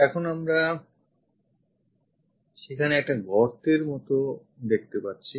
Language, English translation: Bengali, Now we have something like a hole there